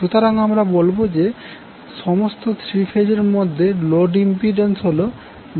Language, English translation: Bengali, So we will say the impedance of the load is Z Y in all three phases